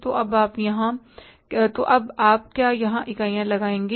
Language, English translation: Hindi, Now we will put the units here